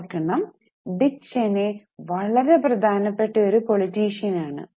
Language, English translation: Malayalam, Keep in mind, Dick Cheney was a very important politician